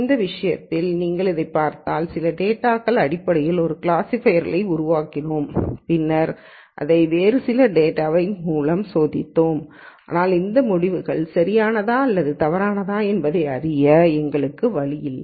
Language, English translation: Tamil, In this case if you look at it, we built a classifier based on some data and then we tested it on some other data, but we have no way of knowing whether these results are right or wrong